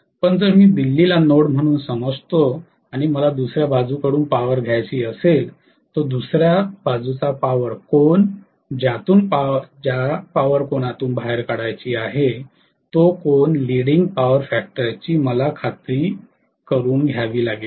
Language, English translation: Marathi, But if I consider Delhi as a node and I want to take a power from somewhere else, I have to make sure that the power angle of the other side, from where want to guzzle up power that has to be at a leading power factor angle